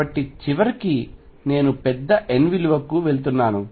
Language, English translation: Telugu, So, what I am going have finally is go to a huge n value